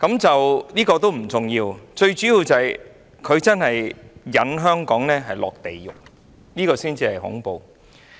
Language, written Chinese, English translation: Cantonese, 這亦不重要，最重要的是他把香港引入地獄，這才恐怖。, This is not the key point . The key point is that he leads Hong Kong to hell . This is what horrifies us